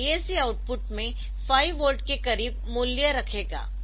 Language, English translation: Hindi, So, that the DAC will put a value of 5 volt close to 5 volt in the output